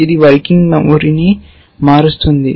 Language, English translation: Telugu, It changes the working memory